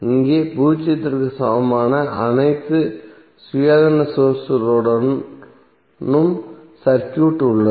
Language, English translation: Tamil, Here the circuit with all independent sources equal to zero are present